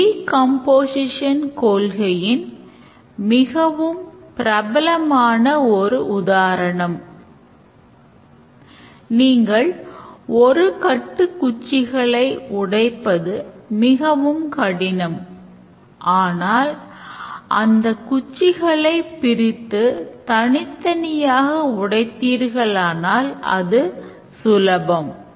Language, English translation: Tamil, One of the very popular example of the decomposition principle is that if you try to break a bunch of sticks tied together, it would be extremely complex but then if you decompose it then you can break the sticks individually